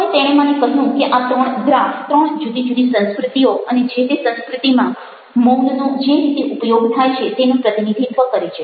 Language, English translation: Gujarati, that these three graphs kind of represent three different cultures and the way that silence is used in this culture